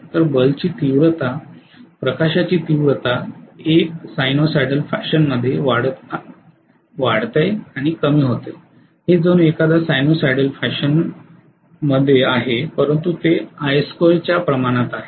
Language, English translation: Marathi, So the bulb intensity, the light intensity will increase and decrease in a sinusoidal fashion it will look as though it is in a sinusoidal fashion but it is proportional to I square